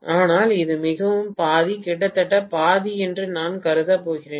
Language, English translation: Tamil, But, I am going to assume that it is fairly half, almost half